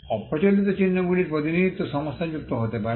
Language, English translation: Bengali, Representation of unconventional marks can be problematic